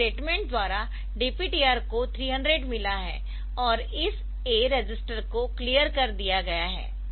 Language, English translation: Hindi, So, DPTR by the statement DPTR has got 300 and this a register is cleared